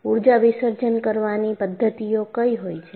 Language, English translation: Gujarati, What are the energy dissipating mechanisms